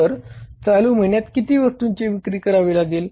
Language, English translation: Marathi, So, how much goods to be sold in the current month